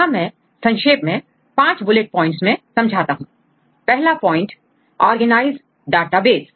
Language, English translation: Hindi, So, I briefly I put into 5 bullet points, the first one is well organized databases